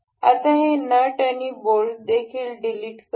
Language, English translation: Marathi, We will delete this nut and the bolt as well